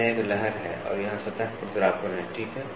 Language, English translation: Hindi, So, this is a wave and here is the surface roughness, ok